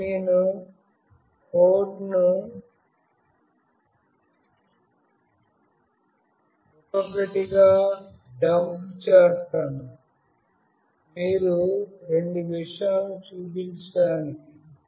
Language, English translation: Telugu, Now, I will be dumping the code one by one to show both the things